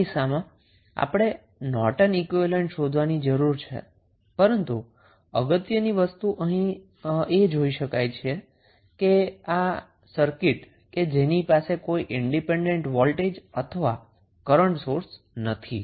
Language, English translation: Gujarati, In this case, we need to find out the Norton's equivalent, but the important thing which we see here that this circuit does not have any independent voltage or current source